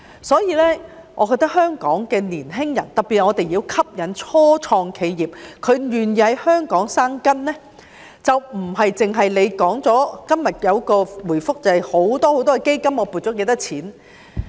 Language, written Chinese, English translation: Cantonese, 所以，我覺得香港的年輕人，特別是我們要吸引初創企業，令他們願意在香港生根，就不只是局長今天在回覆中說設有很多基金，撥了多少錢。, Therefore I think for the benefit of our young people in Hong Kong especially as we wish to attract start - ups and make them willing to take root in Hong Kong it takes more than what the Secretary said in his reply today about setting up a host of funds or allocating how much money